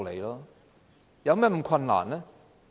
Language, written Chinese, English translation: Cantonese, 有甚麼困難呢？, Is it very difficult for you to do so?